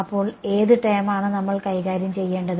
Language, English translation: Malayalam, So, what term is it that we have to deal with